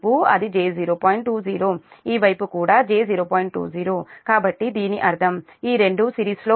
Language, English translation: Telugu, so that means this two will be in series